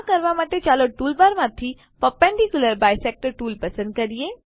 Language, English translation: Gujarati, To do this Lets Select Perpendicular bisector tool from the tool bar